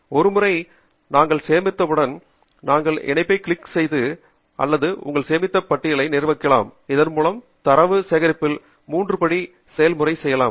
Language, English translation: Tamil, and once we are done with collecting, then we can click on the link view or manage your save lists, so that we can go to a three step process in collecting the data